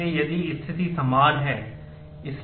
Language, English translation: Hindi, So, if the situation is the same